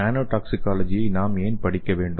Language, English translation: Tamil, So why we have to study the nano toxicology